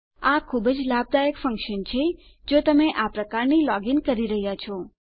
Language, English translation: Gujarati, This is a very useful function if youre doing this kind of logging in